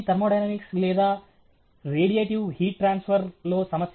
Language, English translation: Telugu, problem in thermodynamics or radiative heat transfer